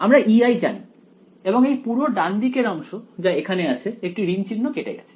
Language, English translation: Bengali, We know what E i is and the entire right hand side over here one of those minus signs got cancelled right